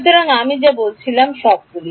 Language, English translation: Bengali, So, all of what I said